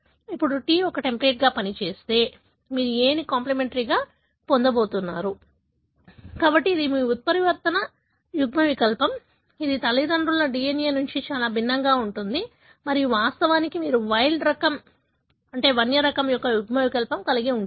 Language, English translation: Telugu, Now, if the T serves as a template, you are going to have A as complementary , so that is your mutant allele, which is very different from the parental DNA and of course, you are going to have the wild type allele